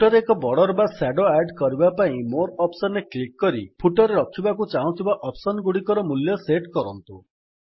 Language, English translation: Odia, To add a border or a shadow to the footer, click on the More option first and then set the value of the options you want to put into the footer